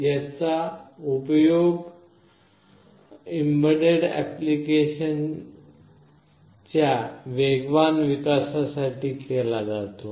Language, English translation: Marathi, It is used for fast development of embedded applications